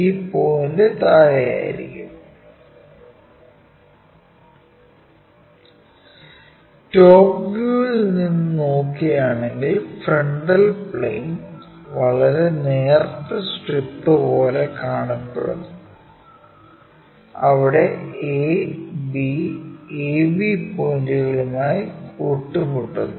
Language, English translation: Malayalam, If we are looking from top view of this, this is the frontal plane from top view it looks like a very thin strip, where a b coincides to a and b points